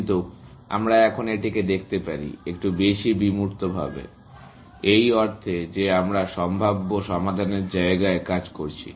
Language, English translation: Bengali, But, we can view this now, a little bit more, abstractly, in the sense that we are working in the space of possible solutions